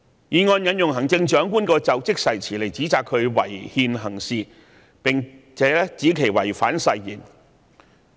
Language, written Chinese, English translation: Cantonese, 議案引用行政長官的就職誓詞來指責她違憲行事，並指她違反誓言。, The motion cites the Chief Executives inauguration oath to support the allegation that she has acted unconstitutionally . It also alleges that she has breached her oath